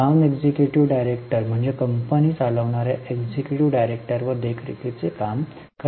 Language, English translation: Marathi, Non executive directors are meant to do monitoring function on the executive directors who are running the company